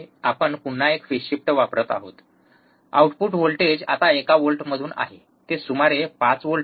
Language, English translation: Marathi, You use again there is a phase shift the output voltage now is from one volts, it is about 5 volts